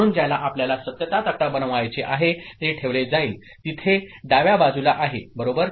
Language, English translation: Marathi, So, the one that we want to be made that truth table will be put; that is there in the left hand side right